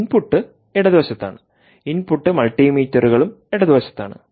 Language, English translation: Malayalam, the input are on the left, the input multimeters on the left side